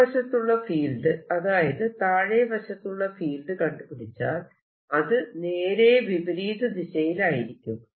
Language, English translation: Malayalam, if you calculate the field on the other side, the lower side, here this will be opposite direction